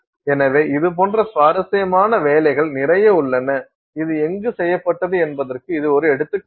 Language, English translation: Tamil, So like this lot of interesting work is there and this is an example of where this has been done